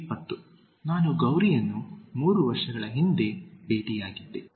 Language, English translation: Kannada, 20) I met Gauri three years before